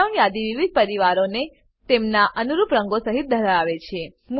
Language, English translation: Gujarati, Drop down list has various families with their corresponding colors